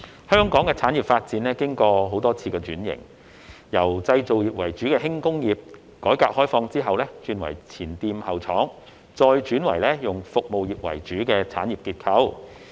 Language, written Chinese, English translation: Cantonese, 香港的產業發展經過多次轉型，由製造業為主的輕工業，改革開放後轉為前店後廠，再轉為以服務業為主的產業結構。, Hong Kongs industrial development has undergone quite a number of transformations from a manufacturing - based light industry to a front shop back factory model after the reform and opening up and then to a service - oriented industrial structure